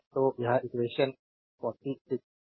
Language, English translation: Hindi, So, that is equation 53